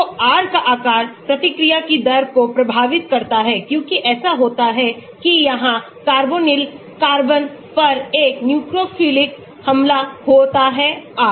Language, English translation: Hindi, So, the size of the R affects the rate of reaction because what happens is there is a nucleophilic attack on the carbonyl carbon here R